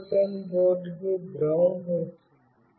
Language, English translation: Telugu, GSM board has got a ground